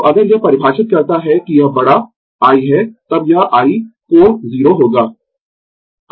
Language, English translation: Hindi, So, if we define this that it is capital I, then it will be I angle 0